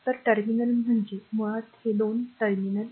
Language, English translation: Marathi, So, 3 terminal means basically these 2 terminals